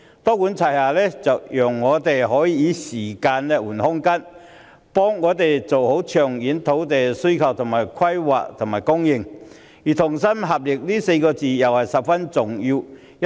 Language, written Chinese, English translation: Cantonese, "多管齊下"讓我們能夠以時間換取空間，妥善處理長遠土地需求、規劃和供應，而"同心協力"這4個字亦十分重要。, A multi - pronged approach allows us to buy time to address the long - term land demand in a proper manner . Working together is also very important